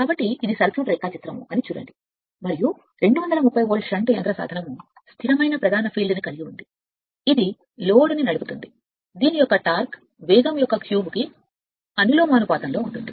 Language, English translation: Telugu, So, look this is the circuit diagram right and it is given that your what you call that 230 volt shunt motor with a constant main field drives a load whose torque is proportional to the cube of the speed